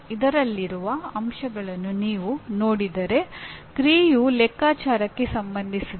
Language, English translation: Kannada, If you look at the elements in this, action is related to calculate